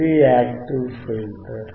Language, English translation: Telugu, This is the active filter